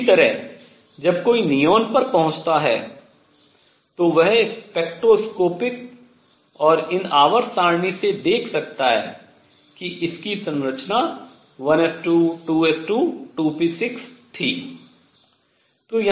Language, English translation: Hindi, Similarly when one reached neon one could see from the spectroscopic and these periodic table evidences that this was had a structure of 2 s 2, 2 p 6